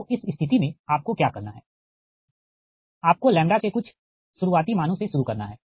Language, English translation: Hindi, so in this case what you have to do, you have to start some initial values of lambda